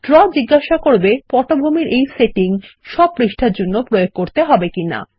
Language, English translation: Bengali, Draw asks you if this background setting should be for all pages